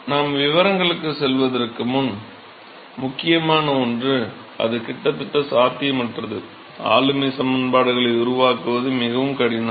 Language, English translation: Tamil, So, before we go into the details, one of the important things was that it is almost impossible it is very difficult to formulate governing equations